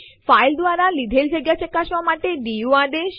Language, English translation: Gujarati, du command to check the space occupied by a file